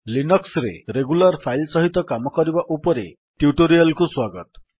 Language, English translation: Odia, Welcome to this spoken tutorial on Working with Regular Files in Linux